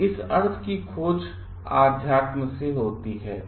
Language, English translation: Hindi, So, this search for this meaning comes from spirituality